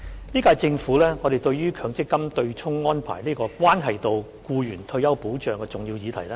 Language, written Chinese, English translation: Cantonese, 本屆政府十分重視強制性公積金的對沖安排，這個關係到僱員的退休保障的重要議題。, The current - term Government attaches great importance to the Mandatory Provident Fund MPF offsetting arrangement which is a very important issue affecting employees retirement protection